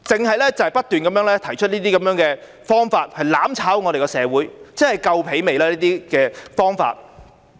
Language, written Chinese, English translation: Cantonese, 他們只是不斷地提出這些方法來"攬炒"社會，這些方法他們做夠了嗎？, They only kept suggesting that these actions be taken to plunge society into the state of mutual destruction . Have they not done enough in taking these courses of actions?